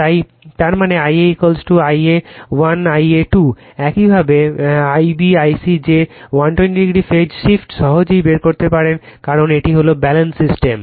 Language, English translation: Bengali, So, ; that means, your I a is equal to I a 1 plus I a 2 and similarly I b I c that 120 degreephase shift you can easily make out because this is Balanced system